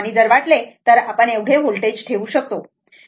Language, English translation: Marathi, And if you want you can put this much of volts right